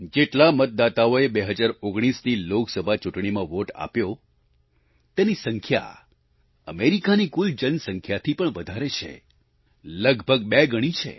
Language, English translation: Gujarati, The number of people who voted in the 2019 Lok Sabha Election is more than the entire population of America, close to double the figure